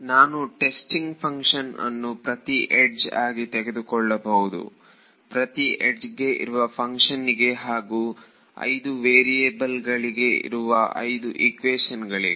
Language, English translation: Kannada, And I could take the testing function to be each one of the edges, the shape function corresponding to each edge and get 5 equations in 5 variables right